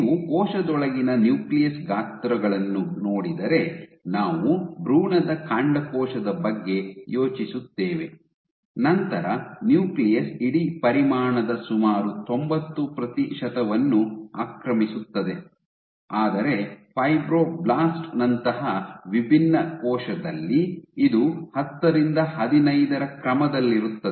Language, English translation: Kannada, So, if you look at the nuclei sizes inside the cell, we think of an embryonic stem cell the nucleus occupies nearly 90 percent of the whole volume, while in a differentiated cell like a fibroblast, this is ordered 10 to 15 percent you can clearly see